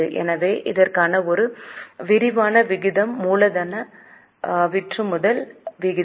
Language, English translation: Tamil, So, a comprehensive ratio for this is capital turnover ratio